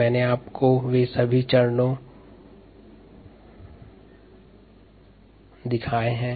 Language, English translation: Hindi, i have shown you all these steps